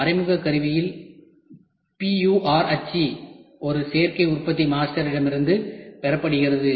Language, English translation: Tamil, Indirect tooling PUR mold obtained from an additive manufactured master partly open